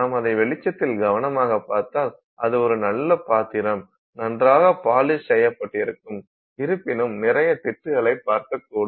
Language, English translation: Tamil, You just look at it carefully in the light and it's nicely polished you will start seeing a lot of patches